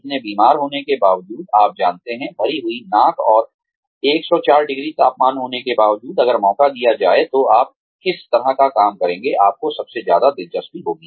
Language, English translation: Hindi, Despite being so sick, you know, despite having a clogged nose, and a 104 degree temperature, if given an opportunity, what kind of work, would you feel, most interested in doing